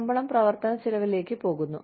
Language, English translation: Malayalam, Salary goes towards, the operational cost